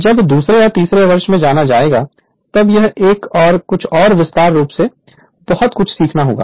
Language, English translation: Hindi, When you will go to the second or third year you will learn much more than this this one and everything in detail right